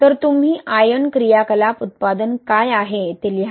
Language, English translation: Marathi, So, you write the what is the ion activity product